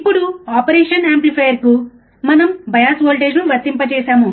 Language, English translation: Telugu, Now, we have applied the bias voltage to the operation amplifier